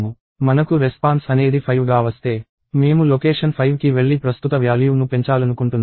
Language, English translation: Telugu, If I get response as let say 5, I want to go to location 5 and increment the current value